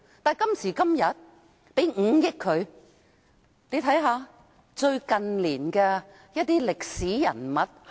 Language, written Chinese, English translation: Cantonese, 大家且看看新聞處近年的一些歷史人物。, Members may take a look at certain historical figures of ISD in recent years